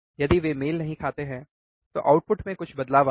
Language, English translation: Hindi, If they do not match, then there will be some change in the output right